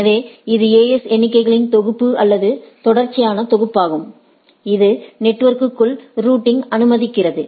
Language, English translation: Tamil, So, it is a set of or sequential set of AS numbers, which allow this routing within the network